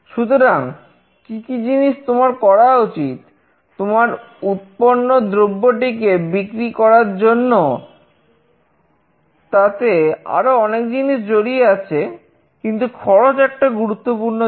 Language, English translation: Bengali, So, what kind of things you should do to sell your product, there are lot many things that are involved, but cost is an important factor